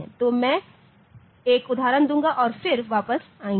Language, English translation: Hindi, So, I will take an example then I will come back to this ok